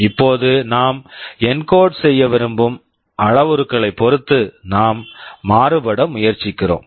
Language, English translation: Tamil, Now, depending on the parameter we want to encode there is something we are trying to vary